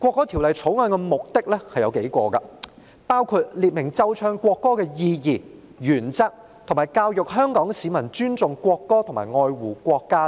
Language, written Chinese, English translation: Cantonese, 《條例草案》有數個目的，包括列明奏唱國歌的意義、原則，以及教育香港市民尊重國歌和愛護國家等。, The Bill has several purposes which include setting out the meaning and principles of playing and singing the national anthem as well as educating the people of Hong Kong to respect the national anthem and love the country etc